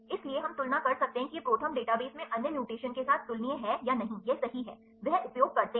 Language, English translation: Hindi, So, we can compare whether this is comparable with the other mutations in the ProTherm database or not right this is that, they use